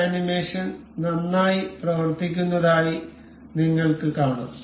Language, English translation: Malayalam, You can see this animation running well and fine